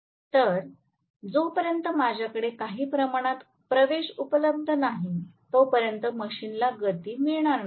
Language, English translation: Marathi, So, unless I have some amount of access available the machine is not going to accelerate